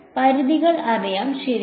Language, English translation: Malayalam, Limits are known and fixed right